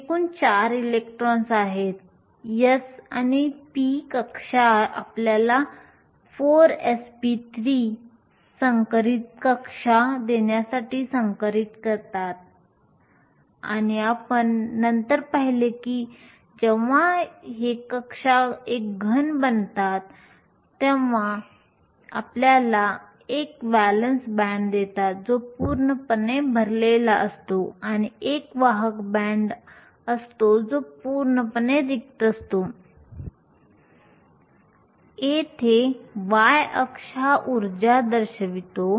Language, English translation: Marathi, There are total of 4 electrons, the s and the p orbitals hybridize to give you 4 sp3 hybrid orbitals and we later saw that these orbitals when they form a solid give you a valence band that is completely full and a conduction band that is completely empty